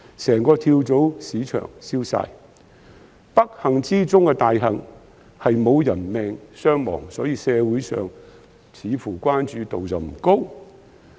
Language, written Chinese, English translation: Cantonese, 整個跳蚤市場都被燒毀，不幸中之大幸是沒有人命傷亡，所以社會對此似乎關注度不高。, The entire flea market was burned down but thankfully no casualty was involved and this is why the community has seemingly paid little attention to it